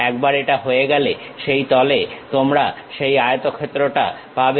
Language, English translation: Bengali, Once it is done you will have that rectangle on the plane